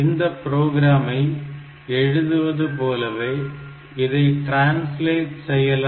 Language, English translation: Tamil, Now when you are doing this translation like the program that we have we are writing